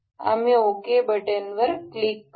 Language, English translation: Marathi, we will click ok